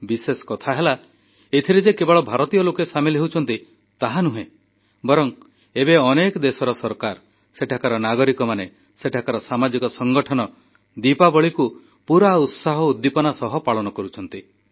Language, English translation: Odia, And notably, it is not limited to Indian communities; even governments, citizens and social organisations wholeheartedly celebrate Diwali with gaiety and fervour